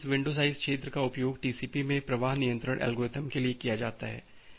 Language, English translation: Hindi, So, this window size field is used for flow control algorithm in TCP